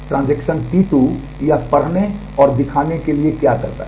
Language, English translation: Hindi, Transaction T 2 what it does it has to read and display